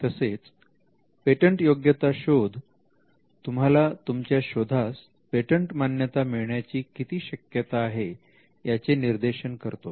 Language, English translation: Marathi, The patentability search gives you an indication as to the chances of getting a grant